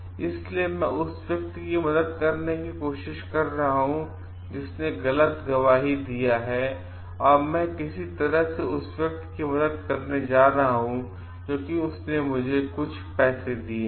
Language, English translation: Hindi, So, I am trying to help the person who has given a wrong testimony in some which I am going to help that person in some way because he or she has given me some money